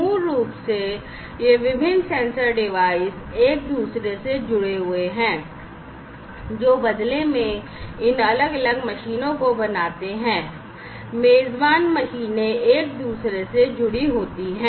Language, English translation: Hindi, So, basically these different sensor devices are connected to one another, which in turn makes these different machines, the host machines connected to one another